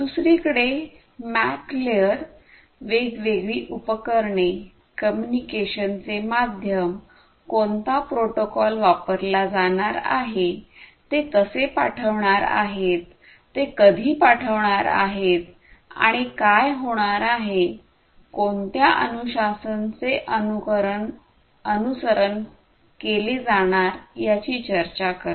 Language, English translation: Marathi, The MAC layer on the other hand talks about things like you know different devices trying to get access to the medium for communication, how, which protocol is going to be used, how they are going to send when they are going to send, what is the discipline that is going to be followed and so on